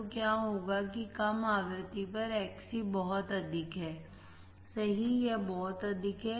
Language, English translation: Hindi, So, what will happen that at low frequency Xc is very high right, it is very high